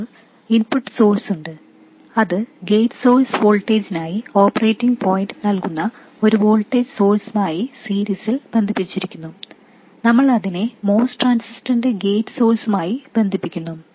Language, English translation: Malayalam, And that is connected in series with a voltage source which provides the operating point for the gate source voltage and we connect it to the gate source of the most transistor